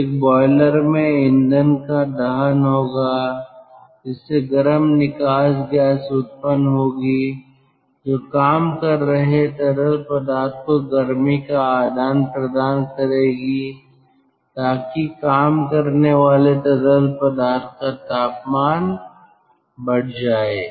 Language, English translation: Hindi, so in a boiler there will be combustion and fuel will be burned and the hot flue gas that will exchange heat to the working fluid so that the temperature of the working fluid will increase